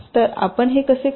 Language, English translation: Marathi, so how you do this